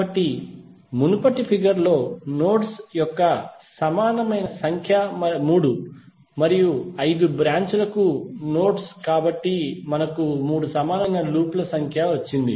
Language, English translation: Telugu, So, in the previous of figure the nodes for number of 3 and branches of 5, so we got number of loops equal to 3